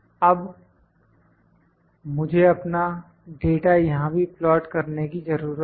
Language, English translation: Hindi, Now, I need to plot my data in here as well